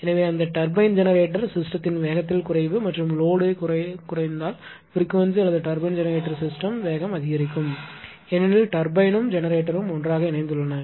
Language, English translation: Tamil, So, decrease in speed of that turbine ah generator system and if load decreases less frequency or the speed will increase of the turbine generator system because turbine and generator coupled together